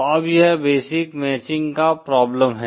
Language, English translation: Hindi, Now this is the basic matching problem